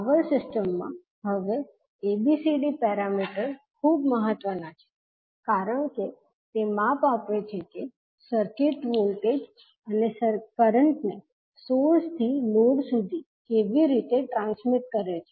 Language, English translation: Gujarati, Now ABCD parameter is very important in powered systems because it provides measure of how circuit transmits voltage and current from source to load